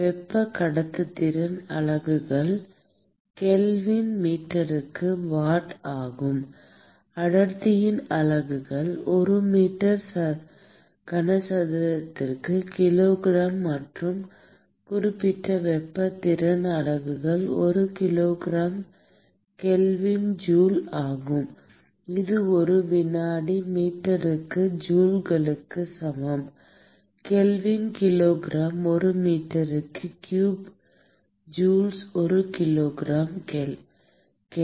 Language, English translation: Tamil, the units of thermal conductivity is watt per meter Kelvin, units of density is kilogram per meter cube and the units of specific heat capacity is joule per kilogram Kelvin, which is equal to joules per second meter Kelvin divided by kilogram per meter cube joules per kilogram Kelvin